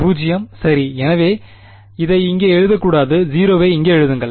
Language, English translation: Tamil, 0 right; so I should not write this over here write it 0 ok